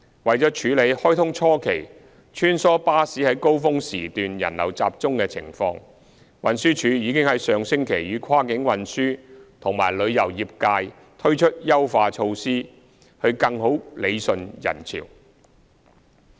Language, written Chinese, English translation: Cantonese, 為了處理開通初期穿梭巴士在高峰時段人流集中的情況，運輸署已於上星期與跨境運輸和旅遊業界推出優化措施更好理順人潮。, In order to deal with the high passenger flows of shuttle buses during peak hours at the early stage of the commissioning of HZMB the Transport Department and cross - border transport and tourism sectors introduced enhancement measures last week to better manage passenger flows